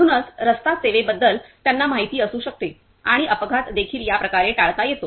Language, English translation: Marathi, So, that they can be also aware about the road service and accident also can be avoided in this way